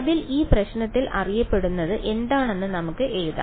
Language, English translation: Malayalam, So, let us write down what is known what is known in this problem